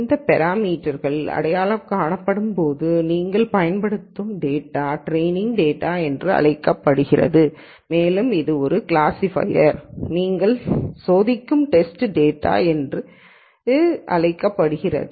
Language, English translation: Tamil, And the data that you use while these parameters are being identified are called the training data and this is called the test data that you are testing a classifier with